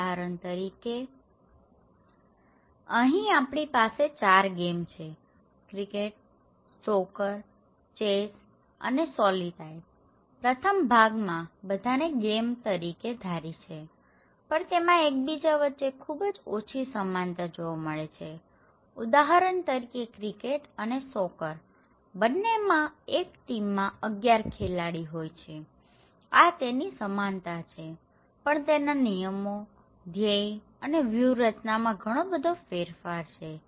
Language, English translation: Gujarati, For example, we have the game here; 3, 4 games, one is and the cricket and in the soccer and the chess and solitaire okay so, in the first part they all consider to be a game but they have very less similarities with each other for example, the cricket or soccers both are 11 players play for each team so, they have some similarities but from the point of rules, aims and strategies they are quite different